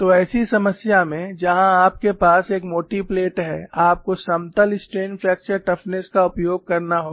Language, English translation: Hindi, So, in such a problem where you have a thick plate, you have to use the plane strain fracture toughness